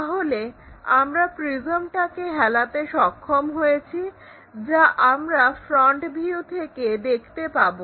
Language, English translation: Bengali, So, we have tilted that prism which can be visible in the front view